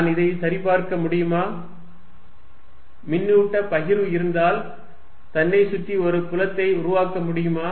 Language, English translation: Tamil, Can I really check, if there is a charge distribution it creates this field around itself